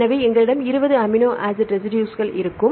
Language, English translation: Tamil, So, we will have 20 different amino acid residues